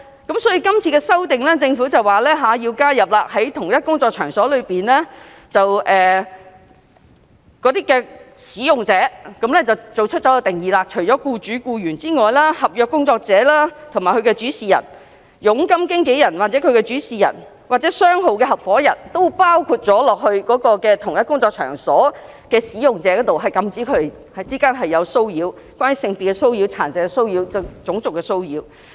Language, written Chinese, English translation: Cantonese, 因此，政府表示要修訂在同一工作場所中"使用者"的定義，除僱主和僱員外，合約工作者或其主事人、佣金經紀人或其主事人，或商號合夥人均包括在同一工作場所中的"使用者"，禁止他們之間作出有關性別、殘疾和種族歧視的騷擾。, Hence the Government expressed the need to amend the definition of workplace participant in the same workplace . Apart from an employer and an employee a contract worker the principal of a contract worker a commission agent or his principal and a partner in a firm are included as the participant in the same workplace . These people are prohibited from harassing another participant on the ground of sex disability or race discrimination